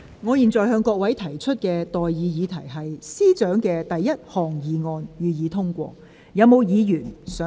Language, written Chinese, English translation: Cantonese, 我現在向各位提出的待議議題是：政務司司長動議的第一項議案，予以通過。, I now propose the question to you and that is That the first motion moved by the Chief Secretary for Administration be passed